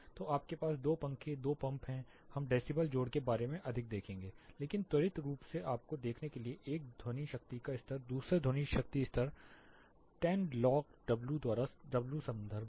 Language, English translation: Hindi, So, you have 2 fans, 2 pumps, we will look more about decibels additions, but quick thing to look at you have 1 sound power level the second sound power level 10 log W by W reference